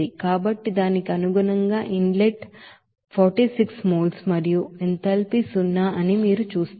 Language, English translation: Telugu, So accordingly that inlet you will see that water inlet is 46 moles and enthalpy is zero